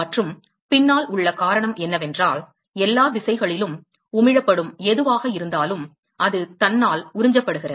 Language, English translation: Tamil, And the reason behind is that, whatever is emitted in all directions, is a, it is absorbed by itself